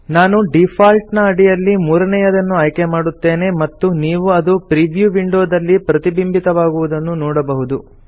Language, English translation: Kannada, I will choose the third option under Default and you can see that it is reflected in the preview window